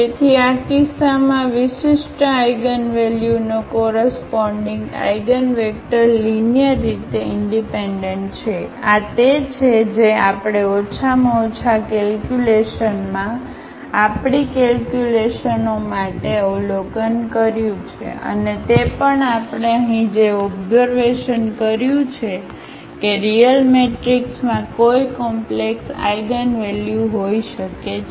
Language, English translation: Gujarati, So, in this case the eigenvectors corresponding to distinct eigenvalues are linearly independent this is what we have observed at least for the calculations we had in numerical calculations and also what we have observed here that a real matrix may have a complex eigenvalues